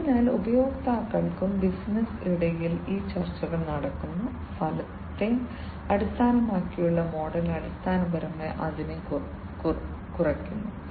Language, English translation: Malayalam, So, between the customers and the business this the negotiations that happen, you know, the outcome based model basically reduces it